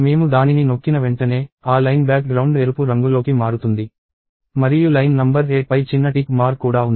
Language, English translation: Telugu, The moment I press that, you can see that, the background of that line changes to red and there is also a small tick mark on line number 8